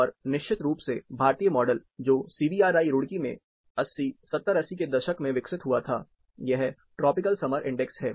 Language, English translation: Hindi, And of course, the Indian model developed in CBRI, Roorkee, way back in the 80s, 70s and 80s, this is the tropical summer index